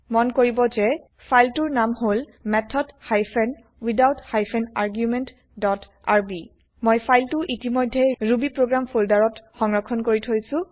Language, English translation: Assamese, Please note that our filename is method hyphen without hyphen argument dot rb I have saved the file inside the rubyprogram folder